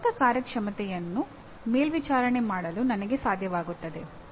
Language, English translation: Kannada, I should be able to monitor my own performance